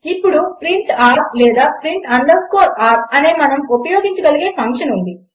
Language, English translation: Telugu, Now theres a function we can use called print r or print underscore r